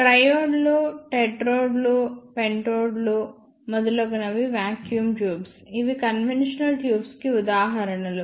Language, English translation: Telugu, The vacuum tubes such as triodes, tetrodes, pentodes etcetera, these are the examples of conventional tubes